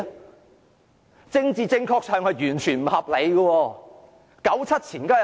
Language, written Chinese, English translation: Cantonese, 在政治正確上，這是完全不合理的。, If you are to be politically correct you should consider it as totally unreasonable